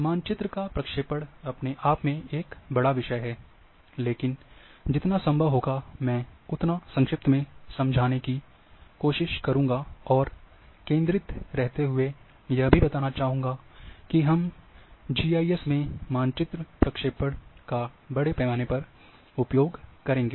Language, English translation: Hindi, Map projection itself is a big subject, but I will try to be as brief as possible, and should not lose the sight, that we are going to use extensively in GIS map projections